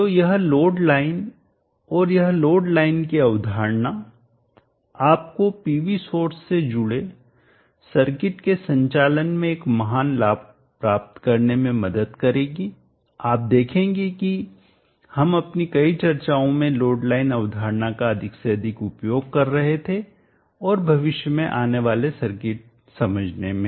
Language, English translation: Hindi, So this load line and this concept the load line will help you to gain a great inside into the operation of the circuits connected with the PV source you will see that we were using the load line concept more and more in many of our discussions and understanding of circuits that will come in the future